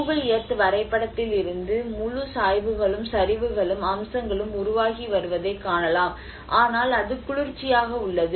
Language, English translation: Tamil, \ \ And that is how from the Google Earth map you can see that the whole gradients and the slopes and aspects which are formed by the way it has been cool down